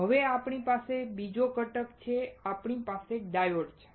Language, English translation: Gujarati, Now we we have another component; We have a diode